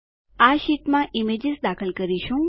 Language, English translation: Gujarati, We will insert images in this sheets